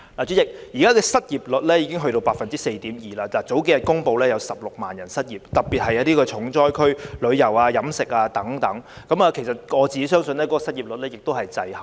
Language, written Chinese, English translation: Cantonese, 主席，現時失業率已達 4.2%， 數天前公布有16萬人失業，特別是重災區的旅遊業和飲食業等，而我相信現時的失業率數字是滯後的。, President the unemployment rate has reached 4.2 % now . A few days ago it was announced that 160 000 people are out of job and in particular the tourism and catering industries are hard hit . I think there is a time - lag in the unemployment rate